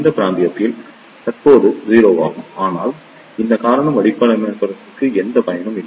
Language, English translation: Tamil, In this region also current is 0, but this reason is not of any use to the designers